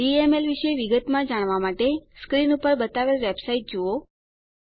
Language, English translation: Gujarati, To know more about DML, visit the website shown on the screen